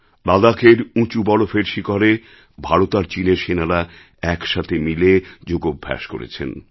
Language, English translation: Bengali, On the snow capped mountain peaks of Ladakh, Indian and Chinese soldiers performed yoga in unison